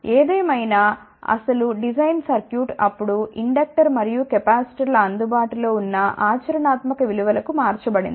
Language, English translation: Telugu, However, that original design circuit was then change to the available practical values of inductors and capacitors